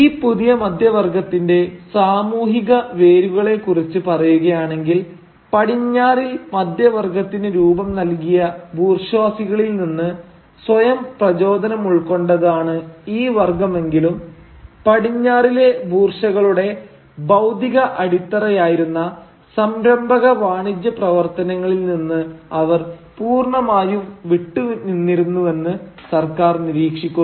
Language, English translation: Malayalam, And then, commenting on the social roots of this new middle class, Sarkar observes that though this class styled itself after the bourgeoisie, who formed the middle class in the West, they were almost entirely dissociated from the entrepreneurial business activities that typically form the material basis of the bourgeoisie in the West